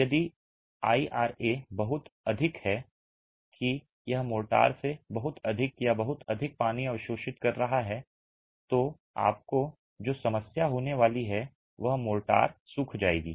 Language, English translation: Hindi, If the IRA is too high that is it is absorbing too much of water from the motor the problem that you are going to have is the motor will dry up